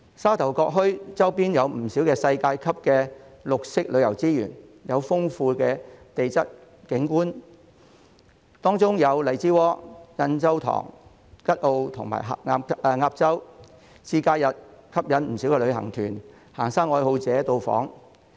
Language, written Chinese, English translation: Cantonese, 沙頭角墟周邊有不少世界級的綠色旅遊資源，有豐富的地質景觀，當中有荔枝窩、印洲塘、吉澳和鴨洲，節假日吸引不少旅行團、行山愛好者到訪。, On the periphery of Sha Tau Kok Town there are plenty of world - class green tourism resources with many spots of geological interests including Lai Chi Wo Yan Chau Tong Kat O and Ap Chau . These places attract many tour groups and hikers during festive seasons and the holidays